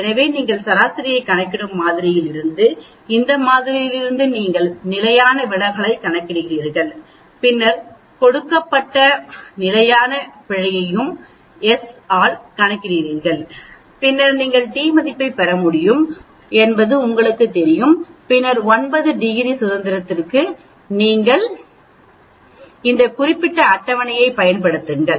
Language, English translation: Tamil, So from the sample you calculate the mean, from this sample you calculate the standard deviation and then you calculate the standard error which is given is by s by square root of n, and then you know you can get the t value and then for 9 degrees of freedom you make use of this particular table